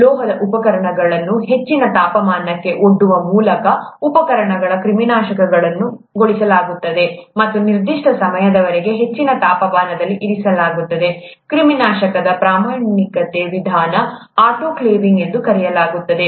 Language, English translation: Kannada, Instruments are sterilized by exposing the metallic instruments to high temperature and keeping it at high temperature over a certain period of time, the standard way of sterilization; autoclaving as it is called